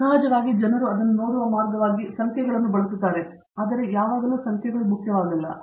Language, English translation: Kannada, Of course, people use numbers as a way of looking at it, but not always numbers are important